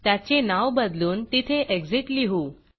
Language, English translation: Marathi, You can also rename that to say Exit